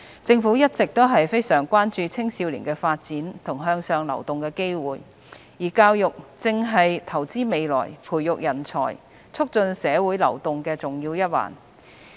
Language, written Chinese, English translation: Cantonese, 政府一直非常關注青少年的發展和向上流動的機會，而教育正是投資未來、培育人才、促進社會流動的重要一環。, The Government has always been very concerned about the development of young people and their opportunities for upward mobility and education is an important part of investing for the future nurturing talent and promoting social mobility